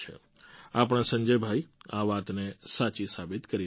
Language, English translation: Gujarati, Our Sanjay Bhai is proving this saying to be right